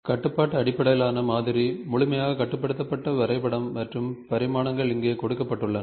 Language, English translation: Tamil, So, the constraint based modeling, the sketch which is fully constrained and dimensions are given here